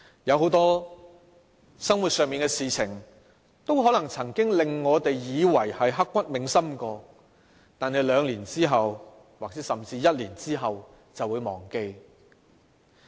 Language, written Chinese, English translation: Cantonese, 很多生活上的事情都可能令我們以為曾經刻骨銘心，但兩年甚至一年後便會忘記。, There are many things in life that we may consider unforgettable but they will be out of our mind two years or even a year down the line